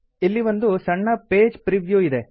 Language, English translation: Kannada, Here is a small preview of the page